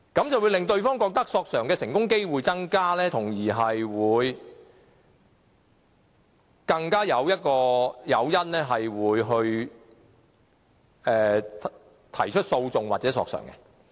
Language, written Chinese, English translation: Cantonese, 這會令對方覺得索償的成功機會增加，從而增加誘因提出訴訟或索償。, They will thus believe that they have a higher chance of making a successful claim and have more incentive to initiate a lawsuit or make a claim